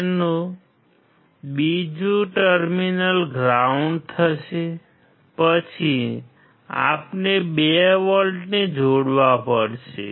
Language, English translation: Gujarati, So, another terminal will be ground, then we have to connect 2 volts